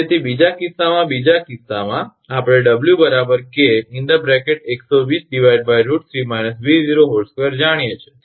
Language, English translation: Gujarati, Therefore in the second case second case, we know W is equal to K 120 by root 3 minus 0 square